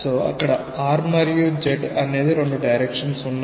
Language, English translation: Telugu, So, there are two directions r and z